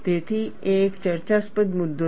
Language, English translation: Gujarati, So, it is a debatable point